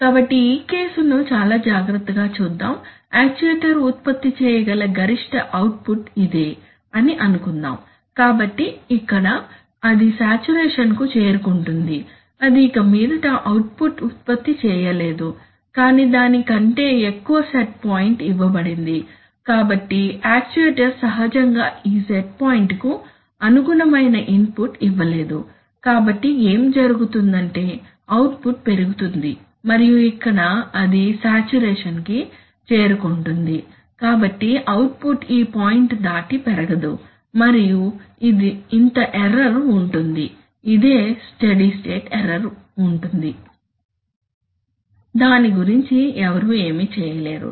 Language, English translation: Telugu, So let us look at this case very carefully, so you see, that, suppose the maximum possible output that the actuator can produce is this, so here it saturates it cannot produce any further output but a set point is given which is higher than that, so the actuator naturally cannot give enough input corresponding to this set point, so what will happen is that the output will rise and then here it will saturate, it cannot, so the output cannot increase beyond this point and this amount of error, this amount of error will exist, this is the steady state error which will exist, one cannot do anything about it simply because